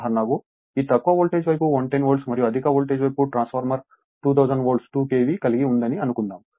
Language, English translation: Telugu, Suppose for example, if this low voltage side is 110 Volt and the high voltage side suppose transformer you have2000 Volt 2 KV